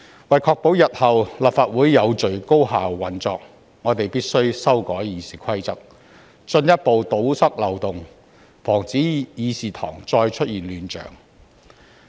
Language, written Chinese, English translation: Cantonese, 為確保日後立法會有序高效地運作，我們必須修改《議事規則》，進一步堵塞漏洞，阻止議事堂再出現亂象。, To ensure that the Legislative Council can operate in an orderly and highly efficient manner in future we must amend RoP to further plug the loopholes and prevent recurrence of the chaotic scenes in the Chamber